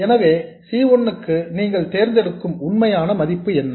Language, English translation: Tamil, So, what is the actual value that you choose for C1